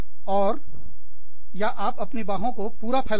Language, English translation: Hindi, And or, you could stretch your arms, completely